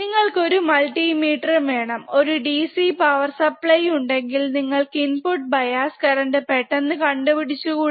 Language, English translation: Malayalam, You just need multimeter you just need DC power supply and then you can measure this input bias current quickly, right